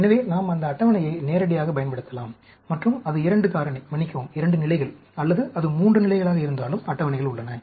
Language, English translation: Tamil, So, we can use those tables directly, and whether it is a 2 factor, sorry, 2 levels, or it is a 3 level, there are tables available